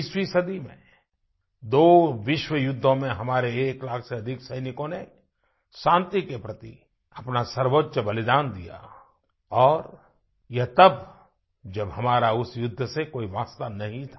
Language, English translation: Hindi, In the two worldwars fought in the 20th century, over a lakh of our soldiers made the Supreme Sacrifice; that too in a war where we were not involved in any way